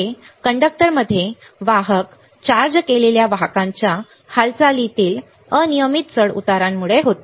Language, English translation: Marathi, It is caused by the random fluctuations in the motion of carrier charged carriers in a conductor